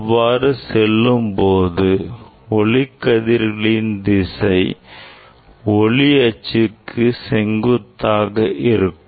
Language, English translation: Tamil, it is direction of light is all the time it is perpendicular to the optics axis